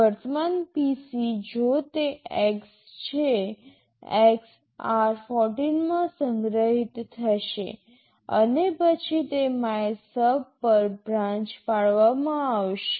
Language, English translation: Gujarati, The current PC if it is X, X will get stored in r14 and then it will be branching to MYSUB